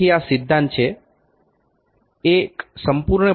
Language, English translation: Gujarati, So, this is the principle; one full rotation only 0